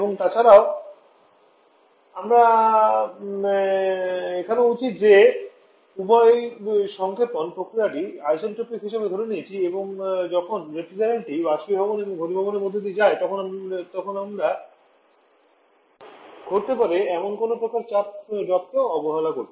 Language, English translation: Bengali, And also, I should at that your assuming both the compression process assuming both the compression process to isentropic and we are neglecting any kind of pressure drop that may takes place when the different passes through that evaporated condenser in heat addition